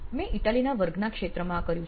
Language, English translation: Gujarati, So, I have done this in a field in a class in Italy